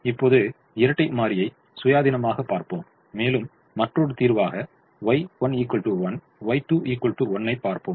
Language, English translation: Tamil, let us look at the dual independently and then let us look at a solution y one equal one, y two equal to one, as another solution